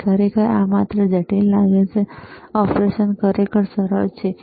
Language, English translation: Gujarati, Actually, it just looks complicated, the operation is really simple, right